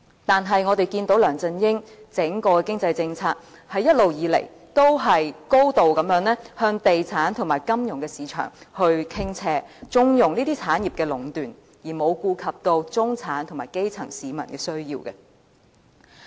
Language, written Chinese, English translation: Cantonese, 但是，我們看到梁振英整個經濟政策，一直以來都是高度向地產及金融市場傾斜，縱容這些產業的壟斷，而沒有顧及中產和基層市民的需要。, Sadly we can see that the economic policy of LEUNG Chun - ying has always been biased heavily towards the property development and financial industries condoning their dominance and ignoring the needs of the middle class and grass - root people